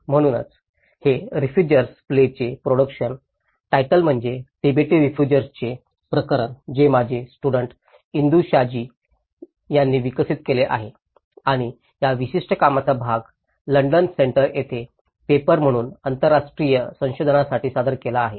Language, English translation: Marathi, So, this is the title production of refugee plays in time the case of Tibetan refugees which has been developed by my student Indu Shaji and this particular piece of work has also been presented at London Center for interdisciplinary research as a paper